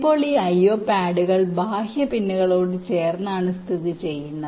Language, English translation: Malayalam, now this i o pads are located adjacent to the external pins